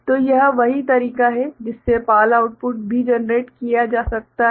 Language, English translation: Hindi, So, this is the way also PAL output can be generated